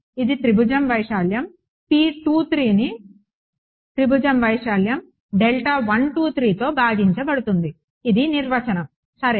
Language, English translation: Telugu, It is the area of triangle P 2 3 divided by area of triangle 1 2 3 this is the definition ok